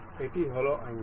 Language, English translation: Bengali, This is angle